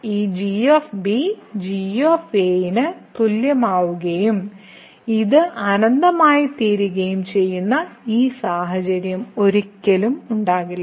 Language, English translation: Malayalam, So, there will be never such a situation that this will become equal to and this will become infinity